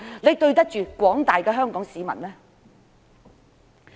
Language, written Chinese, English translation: Cantonese, 是否對得起廣大的香港市民？, Have they let the general public in Hong Kong down?